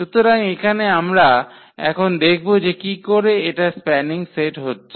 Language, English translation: Bengali, So, here we will check how this forms a spanning set